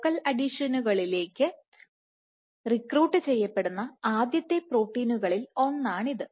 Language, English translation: Malayalam, So, this is one of the first proteins to get recruited to focal adhesions